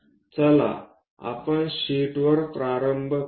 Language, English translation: Marathi, Let us do that on the sheet